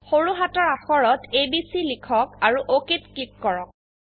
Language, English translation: Assamese, Enter abc in small case in it and click OK